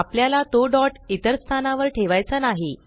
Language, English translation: Marathi, We do not want to place the dot at any other place